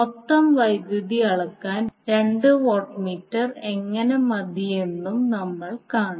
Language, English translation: Malayalam, So we will also see that how two watt meter is sufficient to measure the total power